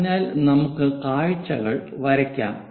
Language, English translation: Malayalam, So, let us draw the views